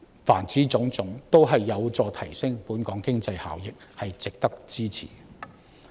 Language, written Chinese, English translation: Cantonese, 凡此種種都有助提升本港經濟效益，值得支持。, All of these are conducive to enhancing the economic benefits of Hong Kong and so merit our support